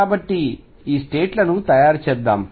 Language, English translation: Telugu, So, let us make these states